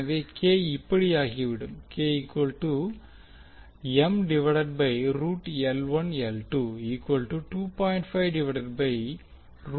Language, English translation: Tamil, So since k is 0